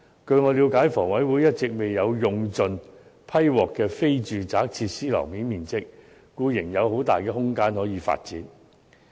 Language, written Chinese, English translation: Cantonese, 據我了解，房委會一直未有用盡獲批的非住宅設施樓面面積，故仍有很大的空間可以發展。, As far as I understand it HA has never fully utilized the approved floor area for non - residential facilities so there is still great room for development